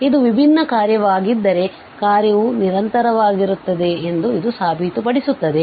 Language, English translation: Kannada, So, this proves that the function is continuous if it is a differentiable function